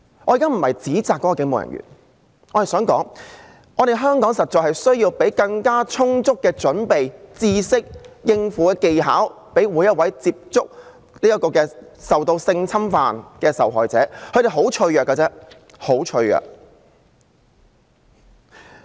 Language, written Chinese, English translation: Cantonese, "我現在不是要指責該警務人員，而是想說，香港實在需要提供更充足的準備、知識和應對技巧予每位會接觸性侵犯受害者的人員，因為受害者十分脆弱。, I am not blaming the police officer now but I wish to say that it is really necessary for any personnel who will deal with victims of sexual abuse in Hong Kong to be better equipped with knowledge and coping skills because the victims are very vulnerable